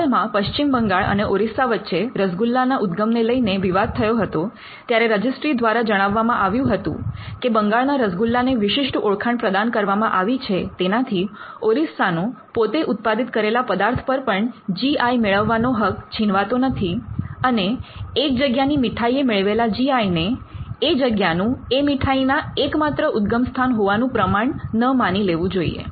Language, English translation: Gujarati, A recently there was some dispute between West Bengal and Odisha as to the origin of rasogolla, the registry at said that granting Bengal rasogolla or Bengali rasogolla does not stop Odisha to having a similar right, and it should not be treated as a certificate of the origin of this sweet itself